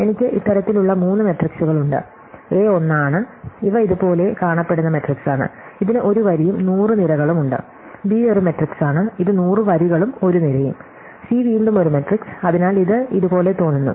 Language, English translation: Malayalam, So, I have three matrices of this kind, so A is 1 and these are matrix which looks like this, it has 1 row and 100 columns, B is a matrix which looks like this, it has 100 rows and 1 column and C is again a matrix, which looks like this